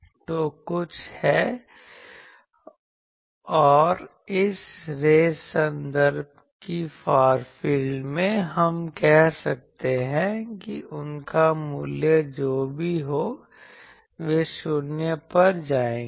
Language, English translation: Hindi, So, there are something and this race terms in the far field, we can say whatever be their value they will go to 0